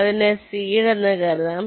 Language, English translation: Malayalam, initially you call it the seed